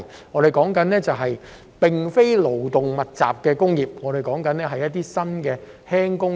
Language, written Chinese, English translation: Cantonese, 我所說的並非勞工密集的工業，而是新型輕工業。, I am not talking about labour - intensive industries but modern light industries